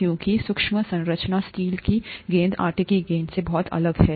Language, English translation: Hindi, Because the microscopic structure of the steel ball is very different from that of the dough ball